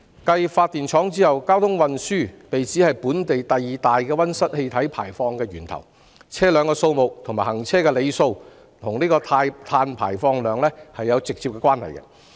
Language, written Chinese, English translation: Cantonese, 繼發電廠後，交通運輸被指是本地第二大溫室氣體排放源頭，而車輛數目及行車里數與碳排放量有直接關係。, Following power plants transport has been pinpointed as the second largest source of local greenhouse gas emissions . Notably the quantities and mileages of vehicles are directly related to carbon emissions